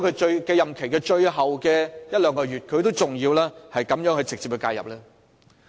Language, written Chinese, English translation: Cantonese, 在任期最後一兩個月，他為何還要這樣直接介入？, In the last couple of months of his term of office why did he still directly interfere with this matter?